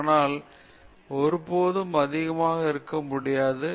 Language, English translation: Tamil, Even so, this can never be overstated